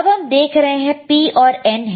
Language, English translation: Hindi, Let us see P, and N P and N